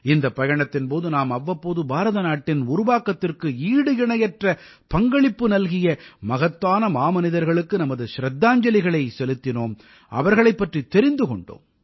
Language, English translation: Tamil, During all this, from time to time, we paid tributes to great luminaries whose contribution in the building of India has been unparalleled; we learnt about them